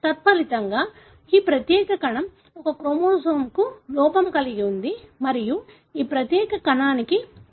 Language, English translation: Telugu, As a result, this particular cell is deficient for one chromosome and this particular cell has an addition of one copy